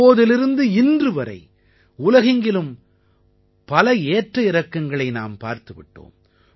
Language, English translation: Tamil, Since then, the entire world has seen several ups and downs